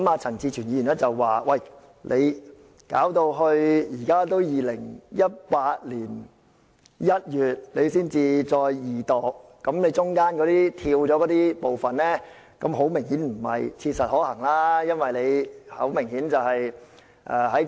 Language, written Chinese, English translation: Cantonese, 陳志全議員指出到現在2018年1月才進行二讀，當中的拖延明顯違反了"於切實可行範圍內"的規定。, Mr CHAN Chi - chuen pointed out that since the Second Reading of the Bill is being conducted only now in January 2018 the delay has obviously violated the requirement of as soon as practicable